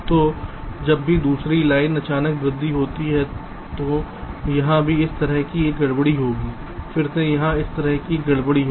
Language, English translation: Hindi, so whenever there is a sudden rise in the other line, so here also there will be a disturbance like this